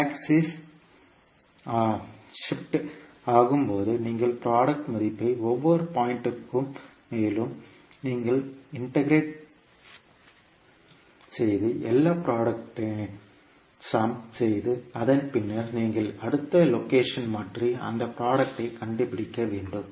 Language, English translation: Tamil, So at this axis it is shifting and we are trying to find out the value of the product at each and every point and ten you are integrating means you are summing up all the products and then you are again you are taking another location and finding out the product